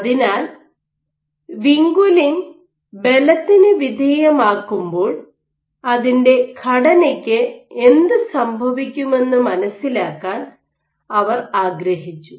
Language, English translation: Malayalam, So, they wanted to understand what happens to the structure of vinculin when you expose it to force